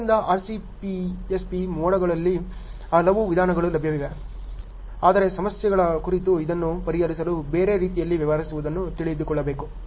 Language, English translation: Kannada, So, so many methods are available on RCPSP modes ok, but this has to be know dealt in a different way in order to work it out on problems